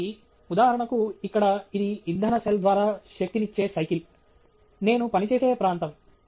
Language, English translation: Telugu, So, for example here, this is a bicycle that’s powered by a fuel cell, an area that I work on